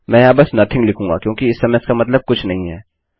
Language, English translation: Hindi, Ill just write here nothing because at the moment it means nothing